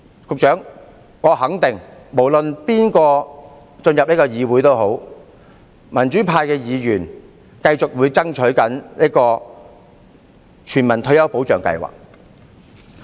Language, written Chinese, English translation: Cantonese, 局長，我肯定民主派無論誰人進入這個議會，他們都會繼續爭取全民退休保障計劃。, Secretary I am sure that whoever from the democratic camp will be elected to this Council will continue to fight for the universal retirement protection scheme